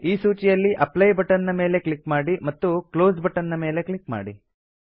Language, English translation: Kannada, Click on the Apply button and then click on the Close button in this list